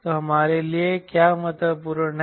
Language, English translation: Hindi, so what is important for us